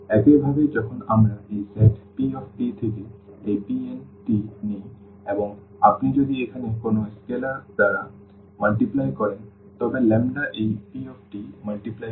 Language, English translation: Bengali, Similarly when we take this p t from this from this set P n t and if you multiply by any scalar here the lambda times this p t